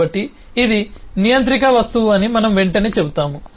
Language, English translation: Telugu, so we will immediately say that this is a controller object